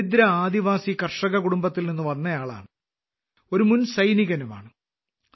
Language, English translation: Malayalam, He comes from a poor tribal farmer family, and is also an exserviceman